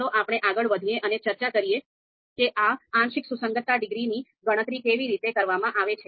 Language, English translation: Gujarati, So let us move forward and talk about you know how these partial concordance degrees they are computed